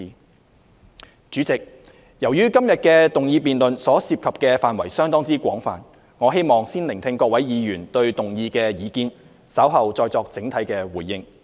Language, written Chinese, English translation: Cantonese, 代理主席，由於今天的議案辯論所涉及的範圍相當廣泛，我希望先聆聽各位議員對議案的意見，稍後再作整體的回應。, Deputy President given the fairly extensive scope of todays motion debate I hope to listen to Honourable Members views on the motion first before giving a consolidated reply later